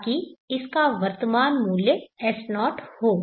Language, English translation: Hindi, So that it has a present worth of S0